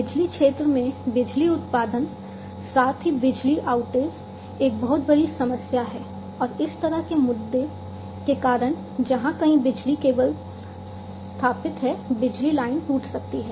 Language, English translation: Hindi, Power production in the power sector, as well outage, power outage, is a huge problem and because of this what might happen, that power outage might happen, because of you know, issue such as somewhere where the power cables are installed the power line might be broken